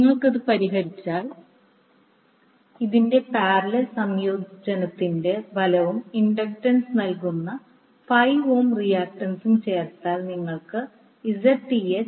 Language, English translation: Malayalam, So, if you solve this, the parallel combination of this and then the result is added with j 5 ohm reactance offered by the inductance you will get Zth as 2